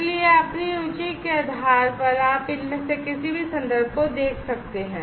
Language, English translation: Hindi, So, depending on your interest you can go through any of these references